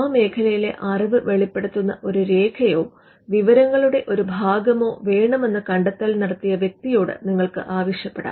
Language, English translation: Malayalam, You could ideally ask the inventor for a document or a piece of information which discloses the knowledge in the field